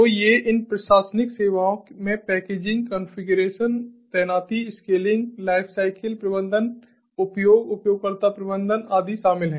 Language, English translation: Hindi, so these administrative services include things like packaging, configuration, deployments, scaling, lifecycle management, utilization, user management and so on